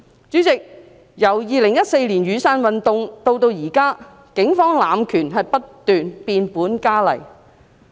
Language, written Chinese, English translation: Cantonese, 主席，由2014年雨傘運動至今，警方濫權不斷變本加厲。, Chairman since the 2014 Umbrella Movement the Polices abuse of power has been increasingly rampant